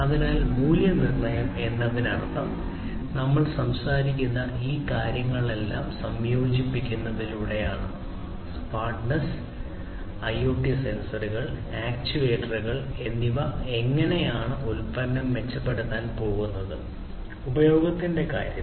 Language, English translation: Malayalam, So, value proposition means like you know through the incorporation of all of these things that we are talking about; the smartness, IoT sensors, actuators whatever how the product is going to be improved; in terms of usage